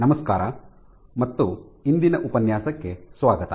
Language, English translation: Kannada, Hello and welcome to today’s lecture